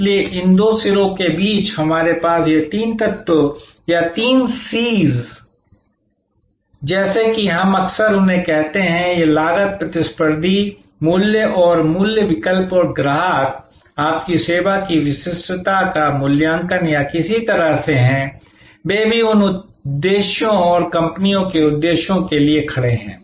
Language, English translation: Hindi, So, between these two ends, we have this three elements or three C’S as we often call them; that is cost, competitors prices and price substitutes and customers assessment of the uniqueness of your service or in some way, they also these C’S stands for the companies objectives and so on